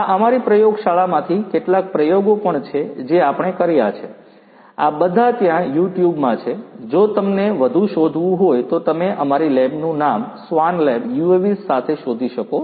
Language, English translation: Gujarati, This is also from our lab you know some experiments that we have performed, these are all there in YouTube if you want to search further you know you can search with our lab name swan lab UAVs